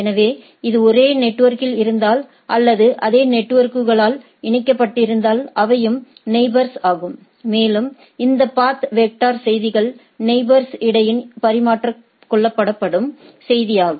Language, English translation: Tamil, So, if it is on the same network or it is connected by the networks, they are neighbor and this path vector messages are the message which are exchanged between the things